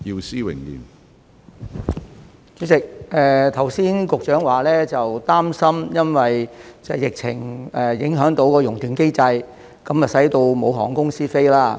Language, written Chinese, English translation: Cantonese, 主席，剛才局長說擔心因為疫情影響到"熔斷機制"，導致航空公司要停飛。, President just now the Secretary said that he was worried that the flight suspension mechanism triggered by the epidemic would result in the suspension of flights by airlines